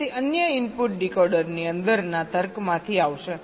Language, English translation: Gujarati, the other input will be coming from the logic inside the decoder